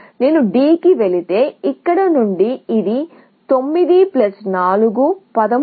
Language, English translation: Telugu, If I go to D from here, it is going to be 9 plus 4, 13